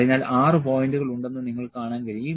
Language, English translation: Malayalam, So, you can see that there are 6 points